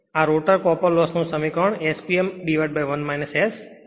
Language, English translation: Gujarati, The rotor copper loss expression is S P m upon 1 minus S